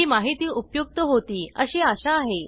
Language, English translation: Marathi, Hope this information was helpful